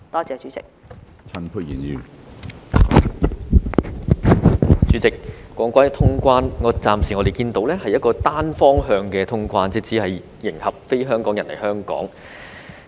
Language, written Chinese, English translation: Cantonese, 主席，談到通關，我們暫時看到的是一個單向通關，只是迎合非香港人來港的需求。, President when it comes to the resumption of quarantine - free travel what we see at this moment is one - way quarantine - free travel which only caters to the needs of non - HKRs coming to Hong Kong